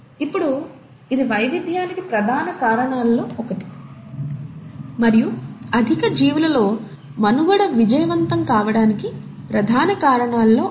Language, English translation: Telugu, Now this has been one of the major reasons for variation and is one of the major reasons for success of survival in higher organisms